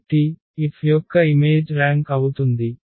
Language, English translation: Telugu, So, image of F will be the rank